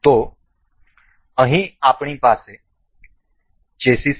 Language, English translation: Gujarati, So, here we have is a chassis